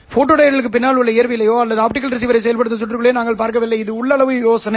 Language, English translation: Tamil, We are not looking at the physics behind photodiod or the circuits that would be implementing the optical receiver